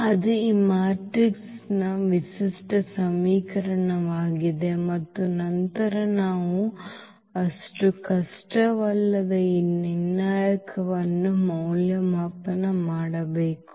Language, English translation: Kannada, So, that is the characteristic equation of this matrix and then we have to evaluate this determinant which is not so difficult